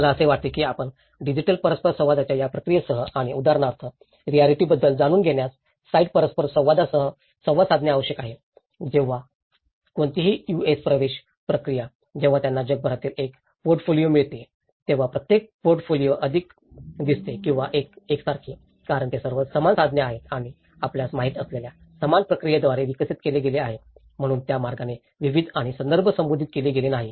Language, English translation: Marathi, I think this is very important that you have to make interact with this process of digital interaction and along with the site interaction knowing the realities for instance, when any US admission procedure when they get a portfolios from all around the world, every portfolio looks more or less the same because they are all developed by the same tools and same processes you know, so in that way the diversity and the context has not been addressed